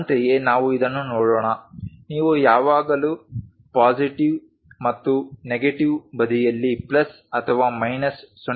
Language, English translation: Kannada, Similarly, let us look at this one its not necessary that you always have plus or minus 0